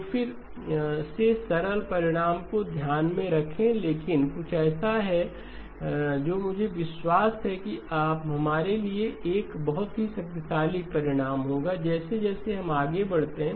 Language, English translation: Hindi, So keep in mind again simple result but something that I believe will be a fairly powerful result, for us as we go forward